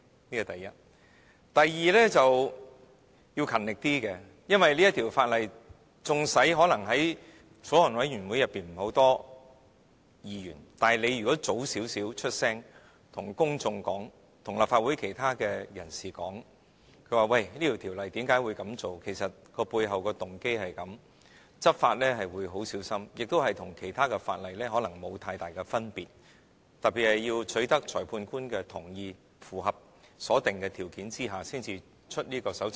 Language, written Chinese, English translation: Cantonese, 此其一；第二，做事要勤力一點，因為縱使法案委員會沒有很多委員，但如果它早點出聲，對公眾及立法會其他人士解釋《條例草案》的內容，以及背後的動機；執法會很小心，亦與其他法例可能沒有太大分別，特別是要取得裁判官的同意，符合所定的條件下才發出搜查令。, Second the Government should work more diligently when it takes on a task . Although there are not many Members in the Bills Committee it will not end up in a mess like this time if it can bring up the issue earlier and explain the details as well as the intents of the Bill to the public and other Members of the Legislative Council . For example it should explain how law enforcement agencies would work with cautions and why the provisions are actually not too different from other laws in particular a magistrates consent has to be obtained and a search warrant will only be issued when certain requirements are met